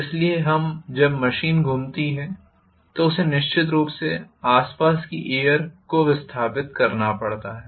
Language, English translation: Hindi, So when the machine is rotating it has to definitely displace the air, surrounding air